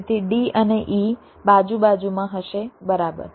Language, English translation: Gujarati, so d and e will be side by side